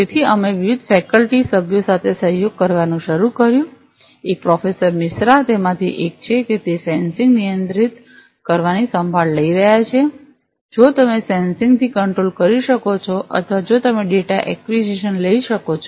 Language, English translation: Gujarati, So, we started to collaborate with different faculty members one Professor Misra is one of them that he is taking care of the remotely controlled sensing if you can control the sensing or if you can take the data acquisition